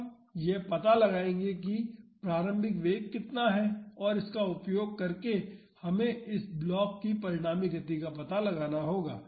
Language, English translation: Hindi, We will find out how much is the initial velocity and using that we have to find out the resulting motion of this block